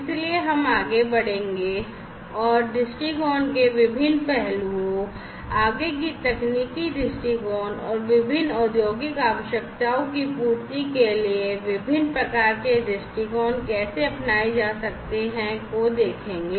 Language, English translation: Hindi, So, we go further ahead and look at the different aspects of viewpoints the further technicalities into the viewpoints and how there are different types of viewpoints, which could be adopted for catering to the requirements of different industrial needs